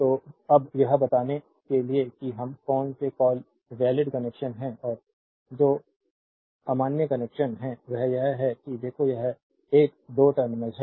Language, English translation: Hindi, So, now, this one you have to tell which is we are what you call valid connection and which is invalid connection that is the thing look this is 1 2 terminal